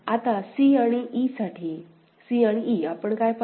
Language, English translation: Marathi, Now, for c and e; c and e what we see